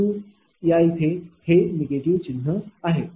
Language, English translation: Marathi, But, here it is negative sign